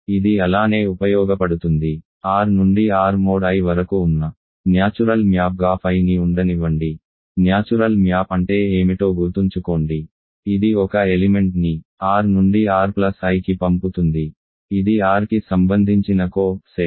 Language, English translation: Telugu, It just uses so, let the let phi be the natural map from R to R mod I, what is the natural map remember, it sends an element r to r plus I, the co set corresponding to r